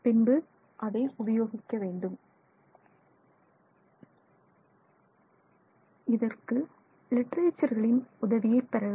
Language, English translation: Tamil, And for this you can take the assistance of literature also